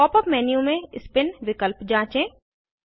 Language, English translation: Hindi, Explore the Spin option in the Pop up menu